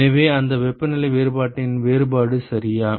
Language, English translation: Tamil, So, that is the differential of that temperature difference ok